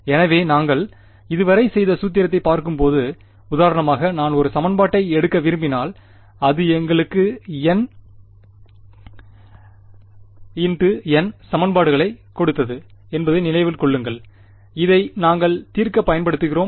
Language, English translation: Tamil, So, looking at this formulation that we did so far right; so for example, if I wanted to take one equation so, remember this gave us a N cross N system of equations, which we use to solve for rho